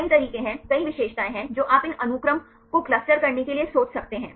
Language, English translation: Hindi, There are several ways, there are several features you can a think of to cluster these sequences